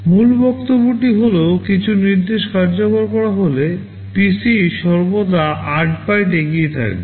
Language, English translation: Bengali, The point is that when some instruction is executed the PC will always be 8 bytes ahead